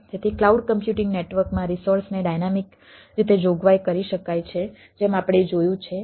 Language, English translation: Gujarati, so in cloud computing, network resources can be provisioned dynamically